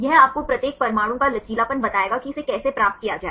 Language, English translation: Hindi, This will tell you the flexibility of each atom how to get this one